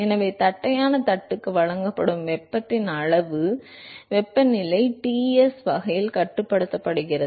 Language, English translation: Tamil, So, the amount of heat that is supplied to the flat plate, it is controlled in such way that the temperature of flat plate is maintained that temperature Ts